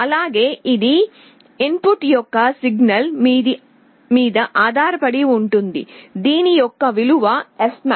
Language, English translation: Telugu, This of course depends on an input signal, what is the value of fmax